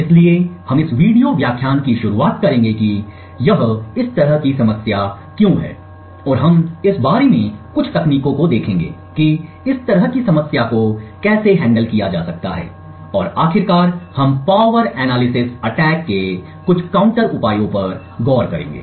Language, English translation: Hindi, So, we will start of this video lecture with why this is such a problem and we would see a few techniques about how such a problem can be handled and finally we will look at some counter measures for power analysis attacks